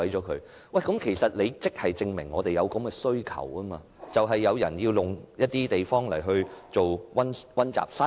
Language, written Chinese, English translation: Cantonese, 其實，這正正說明社會上有這種需求，就是有人需要一些地方作為溫習室。, Actually it just goes to show that there is such demand in the community that is there are people who need study room facilities